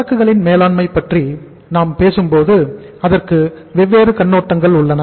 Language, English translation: Tamil, When we talk about the management of inventory it has different perspectives